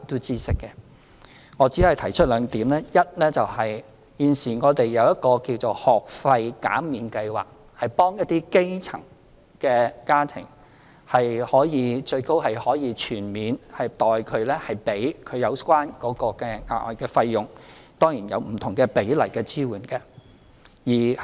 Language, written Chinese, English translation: Cantonese, 基於時間關係，我只可以提出兩點：第一，現時我們設有一個幫助基層家庭的"幼稚園及幼兒中心學費減免計劃"，最高是可以學費全免，政府代其支付有關的額外費用，當然亦有不同比例的支援。, Due to time constraints I can only raise two points here First at present we have a Kindergarten and Child Care Centre Fee Remission Scheme in place to help grass - roots families and the highest level of subsidy can cover full school fees with the extra charges concerned payable by the Government on their behalf . Of course we offer different proportions of assistance